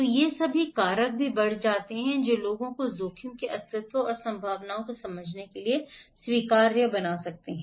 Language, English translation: Hindi, So, these all factors also increases can make it people acceptable to the existence of the risk and understanding the probabilities